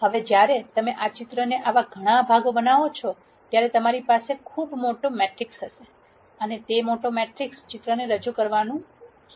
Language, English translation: Gujarati, Now, when you make this picture into many such parts you will have a much larger matrix and that larger matrix will start representing the picture